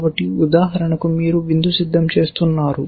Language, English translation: Telugu, So, let us say you are making dinner essentially